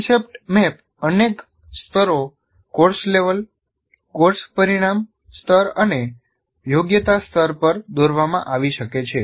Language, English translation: Gujarati, And it can be concept map can be drawn at several levels, course level, course outcome level and at competency level